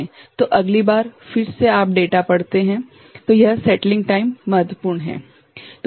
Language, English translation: Hindi, So, next time again you can read the data that settling time is important